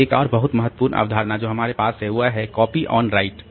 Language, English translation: Hindi, Then another very important concept that we have is the copy on write